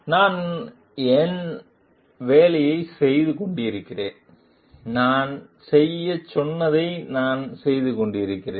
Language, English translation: Tamil, I was just doing my job , I was doing what I was told to do